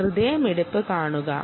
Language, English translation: Malayalam, see the heartbeat